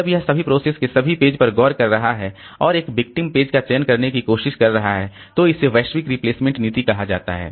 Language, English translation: Hindi, When it is looking into all the pages of all the processes and trying to select a victim, so that is called the global replacement policy